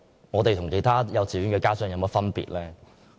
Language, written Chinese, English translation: Cantonese, 我們與其他幼稚園家長有何分別？, What is the difference between us and the other kindergarten parents?